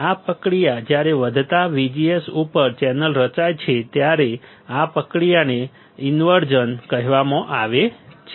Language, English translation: Gujarati, This process when the channel is formed on increasing VGS this process this process is called inversion